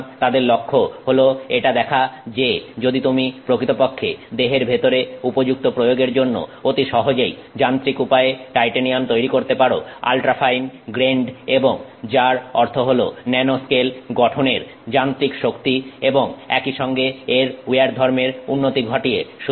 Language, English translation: Bengali, So, their focus was to see if you can actually make titanium mechanically suitable for applications inside the body by improving its mechanical strength as well as its wear properties by simply going to ultra fine grain structure and again which means nano scale structure